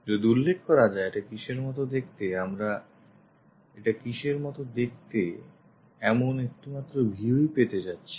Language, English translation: Bengali, If it is mentioned how it looks like, we are going to see only one view how it looks like